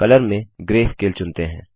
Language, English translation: Hindi, Then under Color, lets select Grayscale